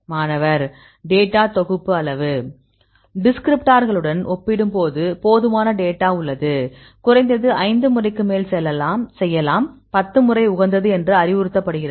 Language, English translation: Tamil, data set size Data set there exist sufficient number of data compared with the descriptors; you can at least more than 5 times; with 10 times it is advisable